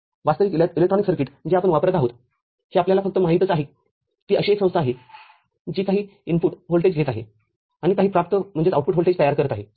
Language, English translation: Marathi, Actual electronic circuit that we using it is just you know, it is an entity which is just taking up some input voltage and generating some output voltage